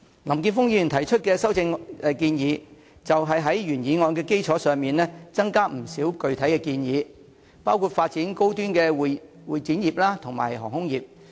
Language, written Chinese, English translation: Cantonese, 林健鋒議員提出的修正案，是在原議案的基礎上增加不少具體建議，包括發展高端的會展業和航空業。, Mr Jeffrey LAMs amendment adds in a number of specific proposals on the basis of the original motion including developing the high - end convention exhibition and aviation industries